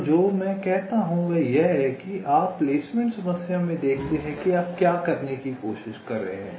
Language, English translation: Hindi, so what i say is that you see, ah, in the placement problem, what are you trying to do